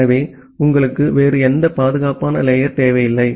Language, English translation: Tamil, So, you do not require any other secure layer